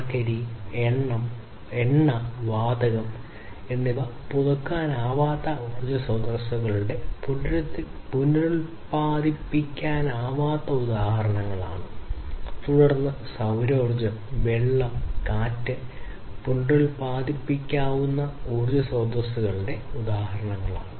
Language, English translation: Malayalam, Coal, oil, gas etc are the non renewable examples of non renewable sources of natural in energy and then solar, water, wind etc are the examples of renewable sources of energy